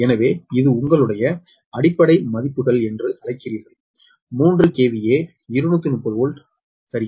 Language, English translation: Tamil, so this is, this is your what you call base values: three k v a, two thirty volt, right